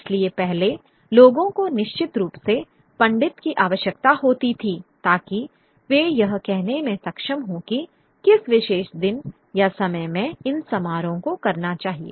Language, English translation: Hindi, Earlier of course people would certainly require a pundit to be able to say exactly what particular day or time one should perform these ceremonies